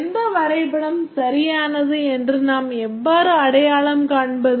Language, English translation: Tamil, How do we identify which diagram is correct